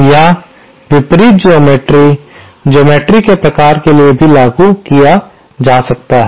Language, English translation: Hindi, Or the opposite geometry, for the type of geometry also can be implemented